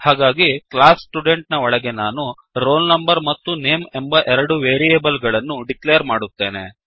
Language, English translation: Kannada, So, inside this class Student, let me declare two variables roll Number and name